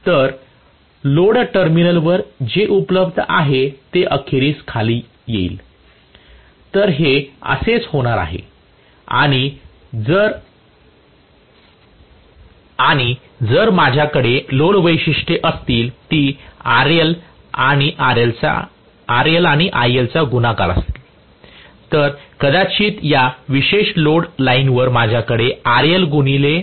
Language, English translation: Marathi, So what is available at the load terminal will fall eventually, so this is how it going to be and if I have actually the load characteristics which is IL multiplied by RL, maybe if I have IL multiplied by RL at this particular line, load line this is the load line